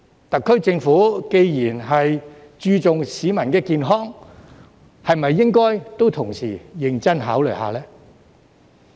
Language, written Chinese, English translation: Cantonese, 特區政府既然注重市民健康，是否也應該同時認真考慮一下呢？, Since the SAR Government cares about the health of the people should it not give serious consideration to this at the same time?